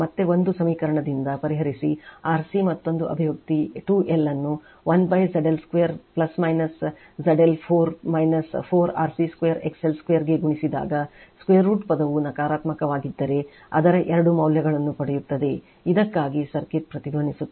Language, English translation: Kannada, So, again from equation one you solve for c you will get another expression 2L into 1 upon ZL square plus minus ZL 4 minus 4 RC square XL square if the square root term is positive right, you will get two values of it for which circuit will circuit will resonant right